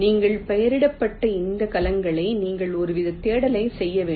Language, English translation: Tamil, you have to do some kind of searching of this cells which you have labeled